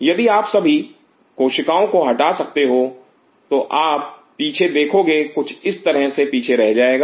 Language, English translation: Hindi, If you could remove all the cells what you will be seeing behind there will be left behind will be something like this